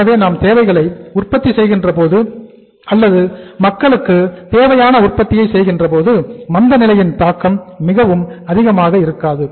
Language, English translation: Tamil, So if we are manufacturing a necessity or we are manufacturing the product which is a necessity for the people, impact of the recession will not be very high